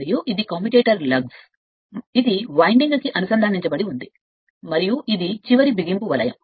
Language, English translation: Telugu, And this is your commutator lugs from here where it is connected to the winding, and this is your end clamp